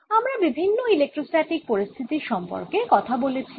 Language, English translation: Bengali, we've talked about different electrostatic situations